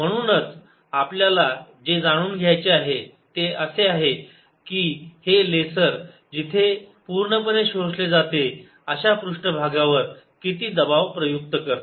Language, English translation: Marathi, therefore, what you want to know is how much pressure does this laser apply on a surface where it is completely absorbed